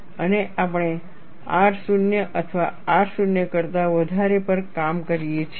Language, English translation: Gujarati, And we work on R 0 or R greater than 0